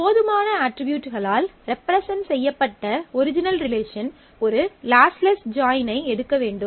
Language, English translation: Tamil, Original relation that was represented by all that attributes enough is to take a lossless join